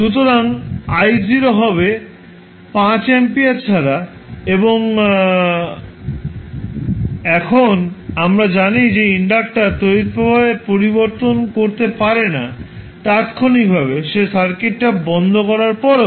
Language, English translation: Bengali, So, I naught is nothing but 5 ampere and now we know that the inductor current cannot change instantaneously so even after switching off the circuit